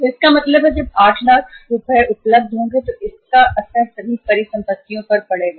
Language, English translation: Hindi, So it means when 8 lakhs will be available it will have the impact upon all the assets